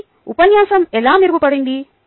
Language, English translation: Telugu, so how was the lecture improved